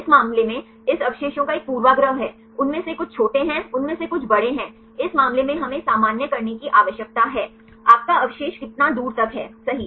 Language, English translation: Hindi, In this case there is a bias of this residues some of them are small some of them are big in this case we need to normalize, how far your your residue is accessible right